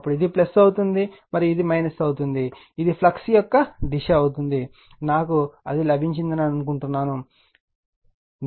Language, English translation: Telugu, Then this will be plus, and this will be minus, this is the direction of the flux got it, I think you have got it right so, this I will make it